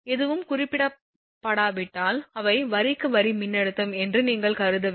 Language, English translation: Tamil, When if nothing is mentioned then you have to assume they are line to line voltage if nothing is mentioned